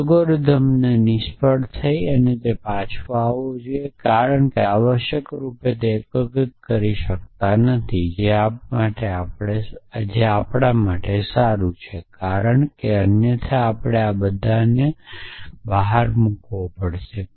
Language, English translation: Gujarati, So, the algorithm should return failure in that we cannot unify this essentially which is good for us because otherwise all of us would have have to diet